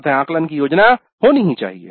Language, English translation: Hindi, Then we must determine the assessment plan